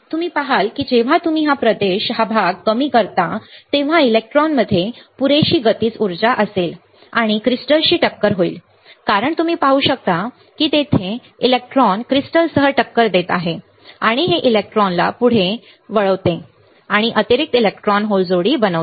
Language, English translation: Marathi, You see when you deplete the region, the electron would have enough kinetic energy and collide with crystals as you can see it is colliding here with crystals and this lurching the electrons further electrons right and forms additional electron hole pair